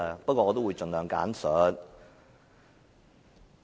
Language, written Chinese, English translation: Cantonese, 不過，我會盡量簡述。, But I will try to be as concise as possible